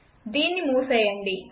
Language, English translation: Telugu, So close this